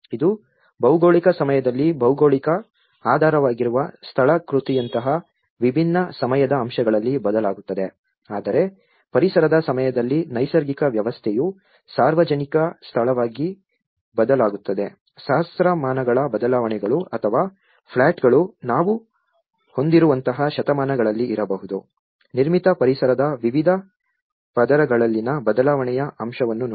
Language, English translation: Kannada, Which changes in different time aspects like the geological, the underlying topography changes in a geological time, whereas, the natural system changes in an ecological time as the public space the changes in the millennia or the plots may be in a centuries like that we have looked at the change aspect in different layers of the built environment